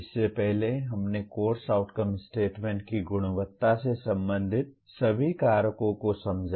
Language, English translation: Hindi, Earlier we understood all the factors related to the quality of course outcome statements